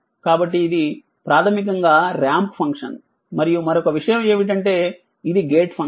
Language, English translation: Telugu, So, it is basically a ramp function and your another thing is that is a gate function right